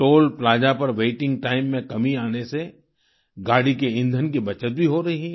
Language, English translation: Hindi, Due to this reduced waiting time at the Toll plaza, fuel too is being saved